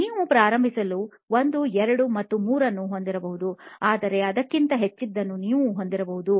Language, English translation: Kannada, You can have 1, 2 and 3 to begin with but you can have many more than that